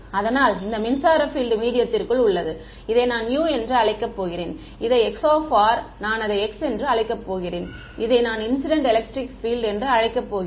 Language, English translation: Tamil, So, this electric field inside the medium, I am going to call it u it this chi r I am going to call it x, and this incident electric field I am going to call it small e ok